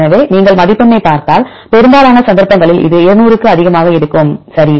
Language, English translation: Tamil, So, if you look into the score, so most of the cases it will be more than 200, right